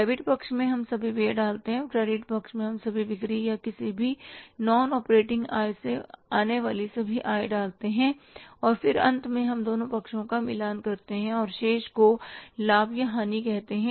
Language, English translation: Hindi, In the debit side we put all expenses and in the credit side we put all incomes coming from sales or any non operating income and then finally we say balance both the sides and difference is called as the profit or loss